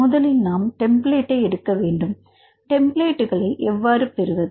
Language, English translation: Tamil, First we need to take the template; how to get the templates